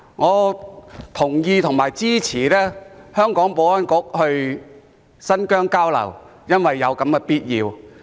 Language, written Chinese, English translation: Cantonese, 我同意和支持香港的保安局到新疆交流，因為這是有必要的。, I endorse and support the Security Bureaus exchange of views with Xinjiang as this is essential